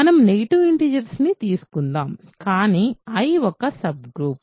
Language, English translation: Telugu, Let us take a negative integer, but I is supposed to be a subgroup right